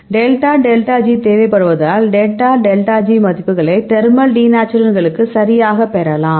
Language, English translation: Tamil, Because I need the delta delta G this I now need, yes delta delta G you get the delta delta G values right for the thermal denaturants